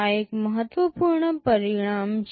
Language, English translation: Gujarati, This is an important result